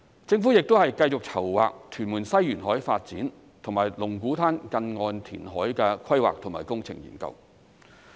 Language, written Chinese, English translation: Cantonese, 政府亦會繼續籌劃屯門西沿海發展和龍鼓灘近岸填海的規劃及工程研究。, The Government will continue to prepare for the planning and engineering studies on the coastal development of Tuen Mun West and the reclaimed land at Lung Kwu Tan